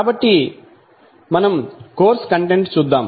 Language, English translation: Telugu, So, we will go through the the the course content